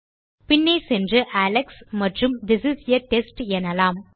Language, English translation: Tamil, Lets go back and say Alex and This is a test